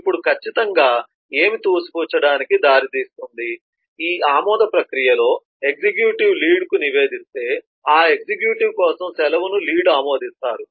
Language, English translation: Telugu, you lead it to rule out that in this approval process it is possible that if the executive reports to the lead, only then the lead approves the leave for that executive